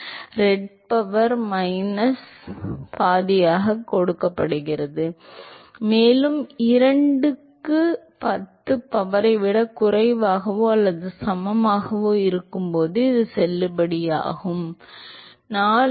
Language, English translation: Tamil, 316 into ReD power minus half and this validity is when it is less than or equal to 2 into 10 power 4